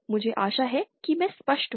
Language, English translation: Hindi, I hope I am clear